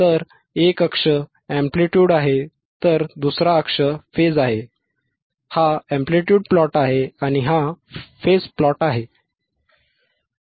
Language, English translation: Marathi, So, one axis is amplitude one axis is amplitude, another axis is phase, this is the amplitude plot